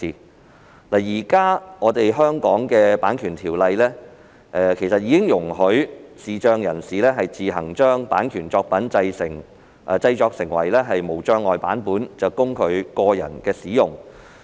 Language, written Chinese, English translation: Cantonese, 其實，現時香港《版權條例》已容許視障人士自行將版權作品自行製作為無障礙版本，供其個人使用。, In fact the existing Copyright Ordinance in Hong Kong already allows visually impaired persons to convert copyright works into accessible format copies for personal use